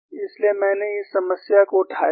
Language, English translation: Hindi, That is why I have taken up this problem